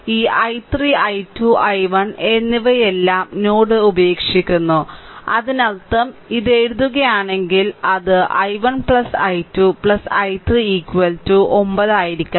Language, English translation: Malayalam, So, and other this i 3 then i 2 and i 1 all are leaving the node so; that means, hm it if you write it should be i 1 plus i 2 plus i 3 is equal to 9 right